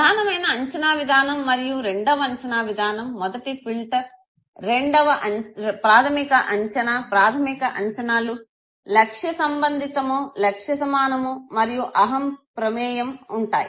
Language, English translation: Telugu, The primary operation mechanism and the secondary operation mechanism, the first filter is the primary operation, primary operations looks at the goal relevance, goal congruence and ego involvement, okay